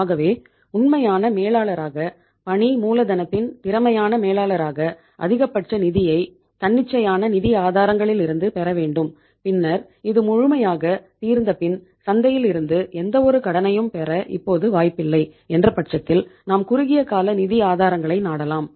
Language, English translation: Tamil, So try to have maximum funds as a true manager, efficient manager of working capital from the spontaneous sources of finance and then once that is fully exhausted that there is now no scope to have any credit from the market then you resort to the short term sources of funds